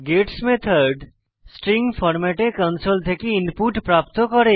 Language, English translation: Bengali, gets method gets the input from the console but in a string format